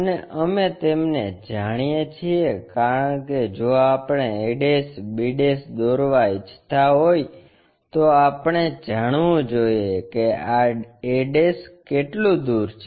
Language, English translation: Gujarati, And, we know the because if we want to construct a' b' we need to know how far this a' is located